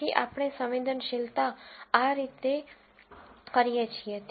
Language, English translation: Gujarati, So, this is how sensitivity is defined